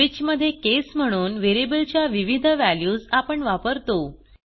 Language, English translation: Marathi, In switch we treat various values of the variable as cases